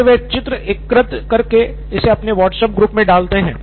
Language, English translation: Hindi, Like they collect pictures and put it up in their WhatsApp group